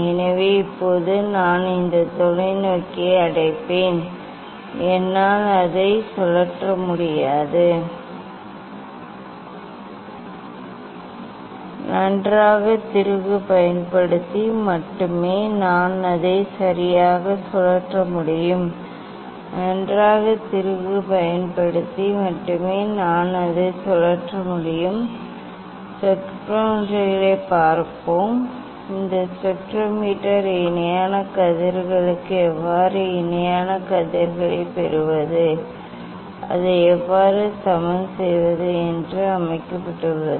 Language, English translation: Tamil, Now, I set at this position then I clamped the; I clamped the telescope, I cannot rotate only I can rotate using the using the this fine screw, but still it is not working ok; I think I have to some disturbance Yes, now it is working I think; first we have to take reading for direct rays let us see the spectrometers; this spectrometer is set for the parallel rays how to get the parallel rays, how to level it so that we have discussed